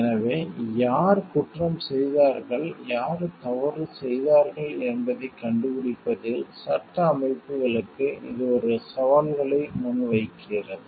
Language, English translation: Tamil, So, this poses new challenges for legal systems, in finding out who has done the crime and who is at fault